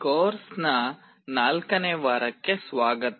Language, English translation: Kannada, Welcome to week 4 of the course